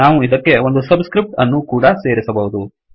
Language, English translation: Kannada, And we can also add a subscript to this